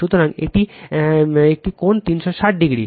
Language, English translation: Bengali, So, it is one angle 360 degree